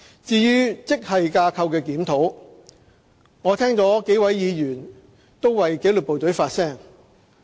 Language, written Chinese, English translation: Cantonese, 至於職系架構檢討，我聽到幾位議員為紀律部隊發聲。, As to grade structure reviews GSRs just now I have heard that several Members have spoken on the issue